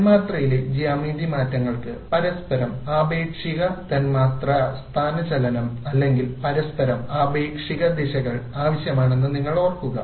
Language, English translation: Malayalam, You recall that geometry changes in the molecule require molecular displacements relative to each other or orientations relative to each other